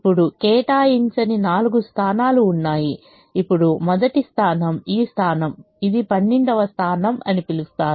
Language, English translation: Telugu, there are four unallocated positions now the the first position is this position, which is called position one two is called position one two